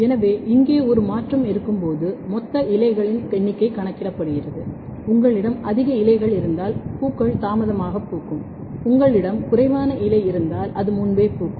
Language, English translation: Tamil, So, here the total number of leaves is counted when there is a transition occurs if you have more leaves then it is delayed flowering if you have less leaf then it is early flowering